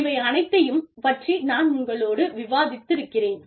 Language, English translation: Tamil, So, all of this, i have discussed with you